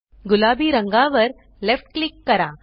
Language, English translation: Marathi, Left click the pink color